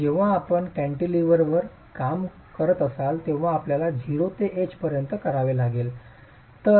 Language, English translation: Marathi, So, when you are working on a cantilever, you will have to do it from 0 to H